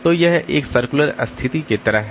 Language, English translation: Hindi, So, it's like a circular situation